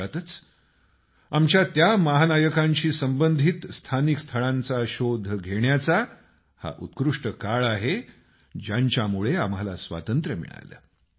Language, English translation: Marathi, In this context, this is an excellent time to explore places associated with those heroes on account of whom we attained Freedom